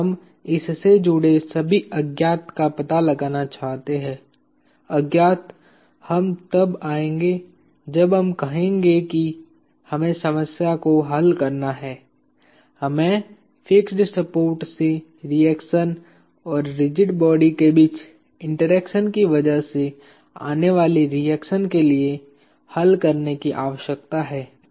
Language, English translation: Hindi, We wish to find out all the unknowns related to this; unknowns we will come to when we say we have to solve the problem, we need to solve for the reactions from the fixed supports and the reactions that appear as an interaction between the rigid bodies; alright